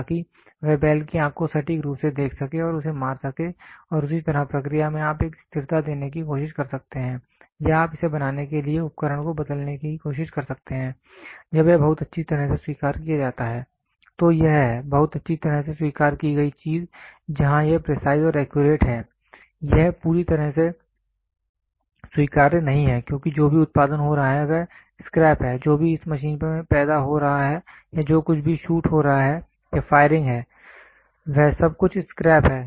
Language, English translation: Hindi, So, that he can accurately see at the bulls eye and hit it and in the same way process you can try to give a fixture or you can try to change the tool to produce this, when this is the very well accepted, this is the very well accepted thing where it is precise and accurate, this is completely not acceptable because whatever is getting produced is scrap whatever it is getting produced in this machine or whatever is a shoot or firing everything is scrap